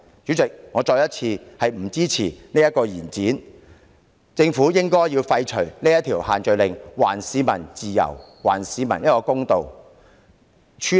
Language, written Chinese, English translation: Cantonese, 主席，我再次重申，我不支持延展有關措施，政府應廢除限聚令，還市民自由和公道。, President I must reiterate that I do not support extending the relevant measures and that the Government should repeal the social gathering restrictions be fair to the people and let them enjoy their freedom